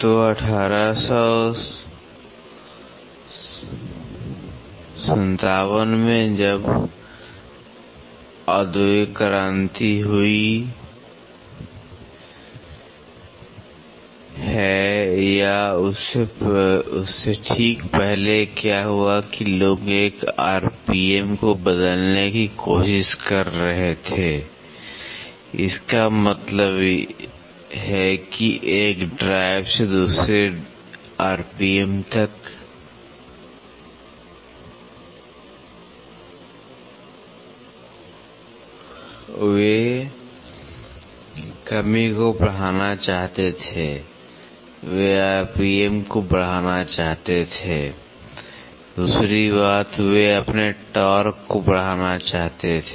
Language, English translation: Hindi, So, in 1857 when industrial revolution happened or just before that so, what happened was people were trying to convert one RPM; that means, to say from a drive to another RPM, they wanted to increase decrease, they want increase the RPM, second thing they wanted to increase their torque